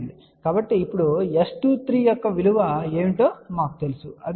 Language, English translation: Telugu, So, now, S 23 we know what is the value of S 23 which is 0